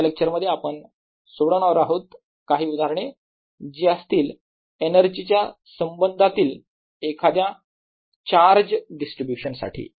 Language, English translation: Marathi, in the next lecture we are going to solve some examples of energy, of some distribution of charge